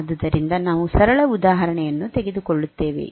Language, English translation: Kannada, So, we will take a simple example, say like this